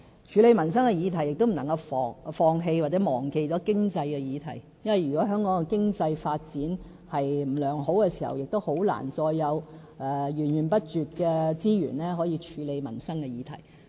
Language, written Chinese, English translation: Cantonese, 處理民生的議題的同時，我們亦不能夠放棄或忘記經濟議題，因為如果香港的經濟發展不好，便很難會有源源不絕的資源，處理民生議題。, But when we handle livelihood issues we must not brush aside or forget economic issues because without sound economic development it will be very difficult for us to ensure a continuous supply of resources to deal with livelihood issues